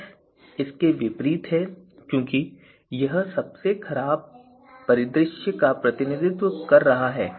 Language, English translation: Hindi, S minus is the opposite of this because this is representing the worst scenario